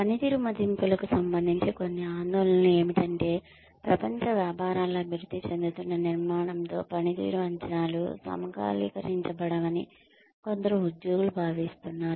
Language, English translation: Telugu, Some concerns, regarding performance appraisals are that, some employees feel that, performance appraisals are not synchronized, with the developing structure of global businesses